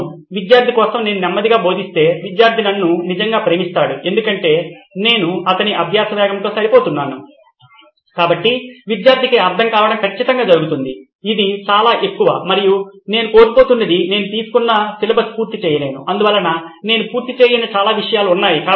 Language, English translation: Telugu, If I go slow, yeah for the student, student actually loves me because I am matching pace with his learning speed so student retention is definitely there it’s a high and what I am losing out on is uncovered syllabus I have not finished what I have signed up for so, I have a lot of stuff that I have not covered